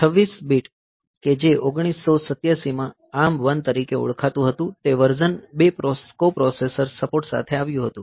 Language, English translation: Gujarati, So, 26 bit that was called ARM 1 in 1987 the version 2 came with the coprocessor support